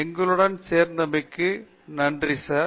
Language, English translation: Tamil, So, thank you sir for joining us